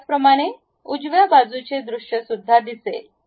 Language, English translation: Marathi, Similarly, right side view you are going to see